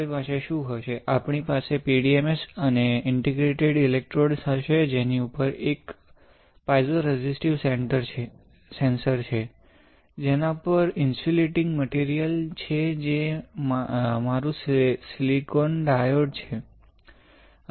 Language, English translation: Gujarati, So, what we will have, we will have a wafer with PDMS and interdigitated electrodes over which there is a piezoresistive sensor, on which there is insulating material which is my silicon dioxide